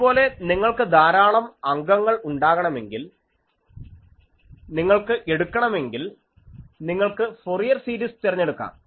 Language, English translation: Malayalam, Similarly, if you want to have an large number of elements if you want to take, you can use the Fourier series things